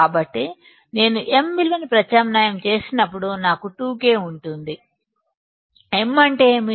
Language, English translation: Telugu, So, when I substitute value of m, I will have 2 K; m is what